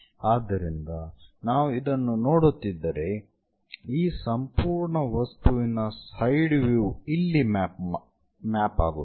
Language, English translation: Kannada, So, if we are looking at that, the side view of this entire object maps here